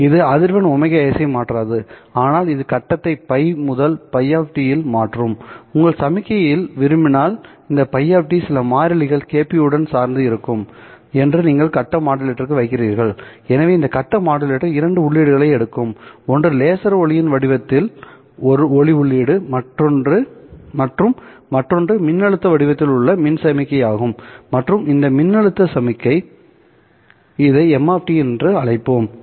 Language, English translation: Tamil, It would also not change the frequency omega S, but it would change the phase to phi to phi of t in the sense that this phi of t will be dependent with some constants kp if you want on the signal that you are putting to the phase modulator so this phase modulator takes in two inputs one is the light input in the form of the laser light and the other is the electrical signal in the form of a voltage and that voltage signal let us call this as M of T